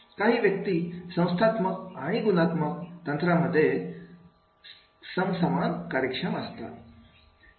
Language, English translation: Marathi, Some people are equally efficient in the qualitative and quantitative technique